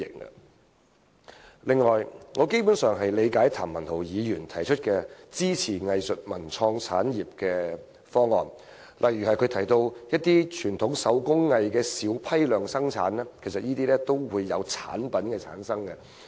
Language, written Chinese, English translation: Cantonese, 此外，我基本上理解譚文豪議員提出關乎支持藝術文創產業的方案，例如他提到一些小批量生產的傳統手工藝，其實均涉及產品的生產。, Moreover I basically understand Mr Jeremy TAMs proposal for backing up the arts cultural and creative industries such as the small batch production of traditional handicrafts mentioned by him which actually involves production of products